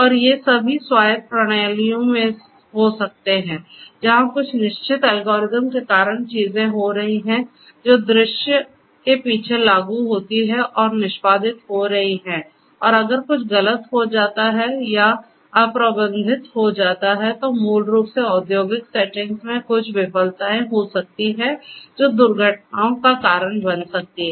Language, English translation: Hindi, And, all of these can happen in autonomous systems where things are happening you know due to certain algorithms that are implemented you know behind the scene and are getting executed and if you know if some something goes wrong or is imprecise then basically that might lead to certain failures which can lead to accidents in the industrial settings